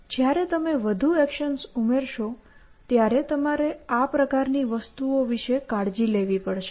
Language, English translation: Gujarati, When you add more actions you have to be careful about things like this essentially